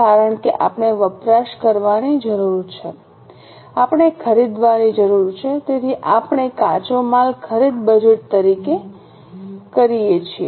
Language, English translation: Gujarati, Because we need to consume, we need to buy, so we prepare raw material purchase budget